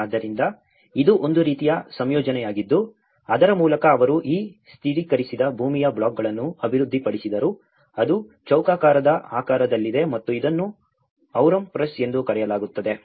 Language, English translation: Kannada, So, that is a kind of composition through which they developed these stabilized earth blocks which are about in a square shape and this is called Aurum press